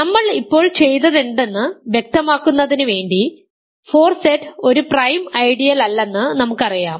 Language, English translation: Malayalam, Just to illustrate what we have just done we know that 4Z is not a prime ideal